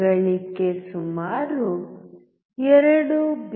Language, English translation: Kannada, Gain is about 2